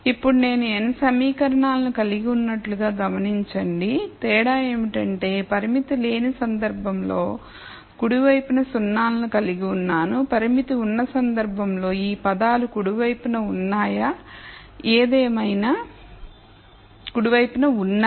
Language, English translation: Telugu, So, now notice much like before I have n equations the difference being in the unconstrained case I had zeros on the right hand side in the constrained case I have these terms on the right hand side